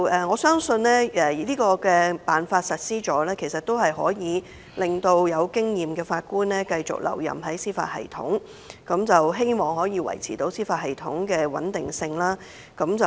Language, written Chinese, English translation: Cantonese, 我相信實施這辦法後，可令有經驗的法官繼續留任司法系統，可望維持司法系統的穩定性。, We trust the implementation of this arrangement will enable experienced Judges to stay in the judicial system and hopefully this will maintain the stability of the judicial system